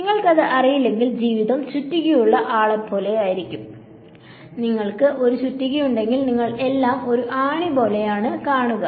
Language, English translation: Malayalam, If you do not know that, then life becomes like that person who has a hammer; you know if you have a hammer everything, you see looks like a nail right